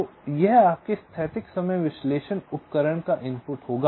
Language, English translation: Hindi, so this will be the input of your static timing analysis tool